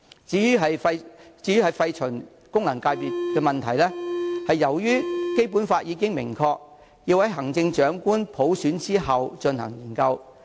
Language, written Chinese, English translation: Cantonese, 至於廢除功能界別的問題，由於《基本法》已經明確規定，要在行政長官普選後再進行研究。, As regards the abolition of functional constituencies it is expressly written in the Basic Law that we can only consider this after electing the Chief Executive by universal suffrage